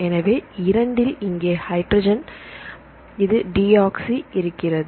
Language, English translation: Tamil, So, in the 2’ here it is H this is deoxy